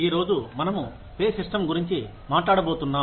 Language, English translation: Telugu, Today, we are going to talk about, the pay system